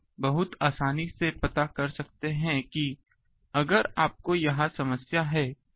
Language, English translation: Hindi, So, you can very easily find out that at suppose if you have this problem